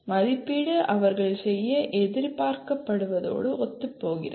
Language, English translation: Tamil, And assessment is in alignment with what they are expected to do